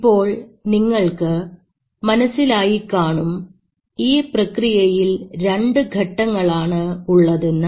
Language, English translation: Malayalam, Now you realize that there are two steps into this reaction